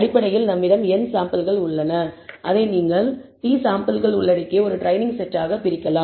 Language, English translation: Tamil, So, essentially we have n samples and you can divide it to a training set con consisting of n t samples and the remaining samples you actually use for validation